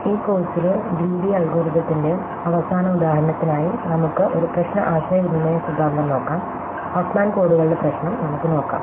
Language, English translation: Malayalam, For the last example of a greedy algorithm in this course, we will look at a problem communication theory, we will look at the problem of Huffman Codes